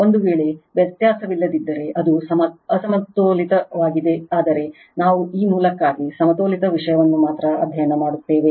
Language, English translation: Kannada, If it is not if one of the difference, then it is unbalanced but, we will study only balanced thing for this source right